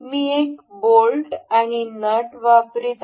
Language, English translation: Marathi, I will be importing one a bolt and a nut